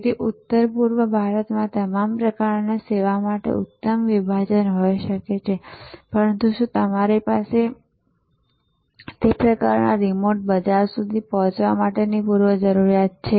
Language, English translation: Gujarati, So, there may be a excellent segment for your kind of service in north east India, but do you have the infrastructure to access the that sort of remote market